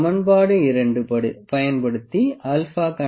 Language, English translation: Tamil, We can calculate alpha using the equation number 2